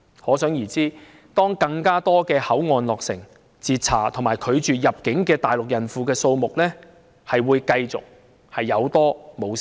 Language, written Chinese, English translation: Cantonese, 可想而知，當更多口岸落成，被截查和被拒絕入境的大陸孕婦數目將會繼續有增無減。, It is thus conceivable that upon completion of more boundary control points the number of pregnant Mainland women intercepted and refused entry will simply continue to increase